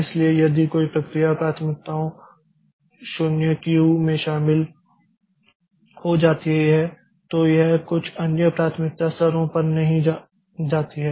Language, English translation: Hindi, So, if a process joins the in the priority 0 Q, then it does not go to some other priority level